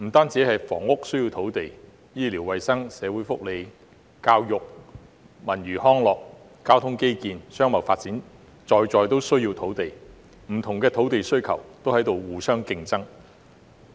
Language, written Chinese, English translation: Cantonese, 除房屋外，醫療衞生、社會福利、教育、文娛康樂、交通基建、商貿發展等也需要土地，不同的土地需求也在互相競爭。, In addition to housing land is also required in respect of healthcare social welfare education culture and recreation transport infrastructure and commercial development etc . and different uses of land are competing with one another